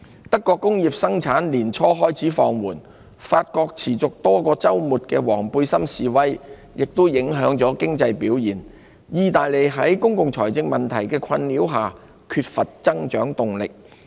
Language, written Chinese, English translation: Cantonese, 德國工業生產年初開始放緩；法國持續多個周末的"黃背心"示威亦影響了經濟表現；意大利則受公共財政問題困擾，缺乏增長動力。, Industrial production in Germany began to falter early this year . The Yellow Vest Protests staged for weekends on end have taken its toll on the economic performance of France . Italy meanwhile is beset by problems in its public finance and sees little growth momentum